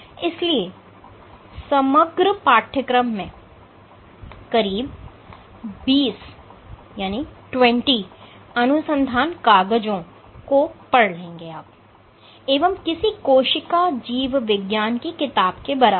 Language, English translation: Hindi, So, over the course over the entire course you will probably read order 20 research papers and any cell biology book, can serve as a reference